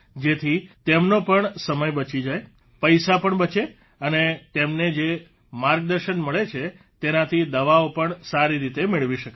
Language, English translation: Gujarati, Tell others too so that their time is saved… money too is saved and through whatever guidance they get, medicines can also be used in a better way